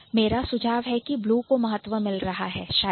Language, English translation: Hindi, My suggestion would be blue is getting more importance probably